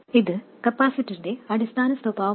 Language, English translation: Malayalam, Again, this is the basic behavior of the capacitor